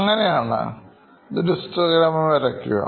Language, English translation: Malayalam, How do you do this histogram plot